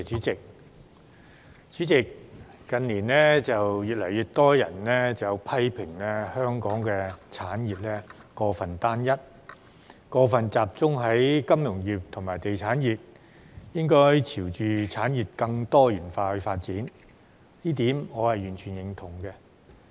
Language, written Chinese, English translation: Cantonese, 主席，近年越來越多人批評香港產業過分單一，以及過分集中於金融業和地產業，應該朝向產業更多元化發展，這一點我完全認同。, President in recent years more and more people have criticized that Hong Kongs industries are too homogeneous and over - focusing on the financial and real estate sectors and that they should move in the direction of more diversified development . This I fully agree